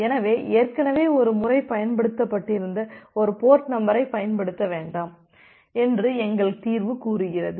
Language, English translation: Tamil, So, it is just like that that our solution says that do not use a port number, if it has been used once already